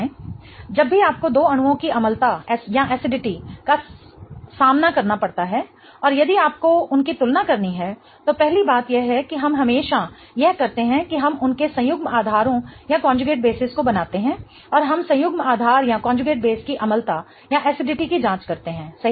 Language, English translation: Hindi, Whenever you are faced with what is the acidity of two molecules and if you have to compare them, first thing we do always is that we draw their conjugate basis and we check the acidity of the conjugate base